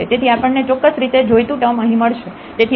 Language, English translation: Gujarati, So, we get precisely the desired term here